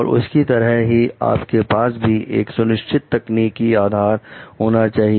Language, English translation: Hindi, So, like they you should have a clear technical foundation